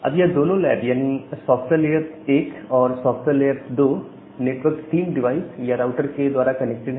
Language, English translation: Hindi, Now, these two software lab 2 software lab 1 and software lab 2, they are connected with each other via layer 3 device or a router